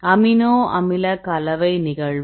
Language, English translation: Tamil, Amino acid composition occurrence